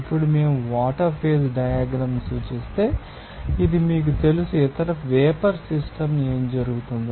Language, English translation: Telugu, Now, if we represent the phase diagram of water, you know that and it is vapour system, what will happen